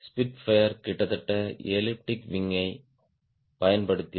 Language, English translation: Tamil, spitfire used almost elliptic wing